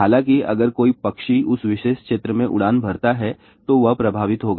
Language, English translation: Hindi, However, if any bird flies in that particular region will do get affected